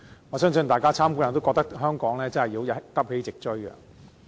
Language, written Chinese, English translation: Cantonese, 我相信大家參觀後均會認為香港真的要急起直追。, I believe that after the visit all of us will agree that Hong Kong must catch up at full throttle